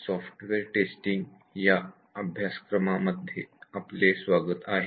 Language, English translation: Marathi, Welcome to this course on Software Testing